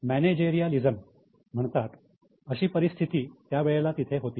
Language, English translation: Marathi, There was what is known as managerialism